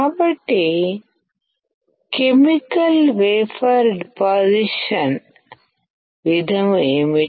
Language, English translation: Telugu, What is chemical vapor deposition